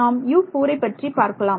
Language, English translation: Tamil, For U 4 let us see for U 4